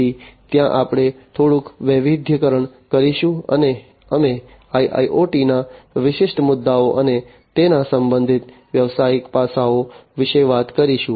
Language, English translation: Gujarati, So, there we will diversify a bit, and we will talk about the specific issues of IIoT, and the business aspects concerning it